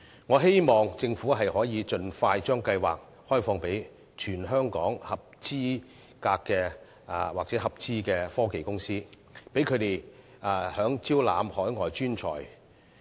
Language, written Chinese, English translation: Cantonese, 我希望政府能夠盡快把計劃開放予全港合資格或合資科技公司，讓他們更方便地招攬海外專才。, We hope the Government can expeditiously open up the Scheme to all eligible or joint - venture companies across the territory to facilitate their recruitment of talent from overseas